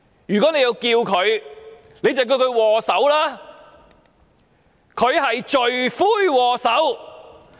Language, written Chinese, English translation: Cantonese, 如果要稱呼她，就稱她為"禍首"，她是罪魁禍首。, If we have to address her call her the culprit; she is the chief culprit